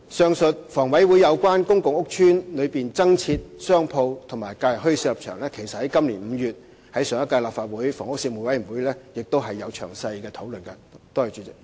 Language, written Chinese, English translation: Cantonese, 上述房委會對公共屋邨內增設商鋪和假日墟市的立場，其實上屆立法會的房屋事務委員會也曾在今年5月的會議作詳細討論。, Actually the aforesaid stance of HA on the provision of additional shops and holiday bazaars in public housing estates was already discussed in detail in May this year by the Panel on Housing of the Legislative Council